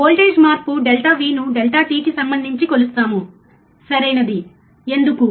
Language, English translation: Telugu, We will measure the voltage change delta V with respect to delta t, right, why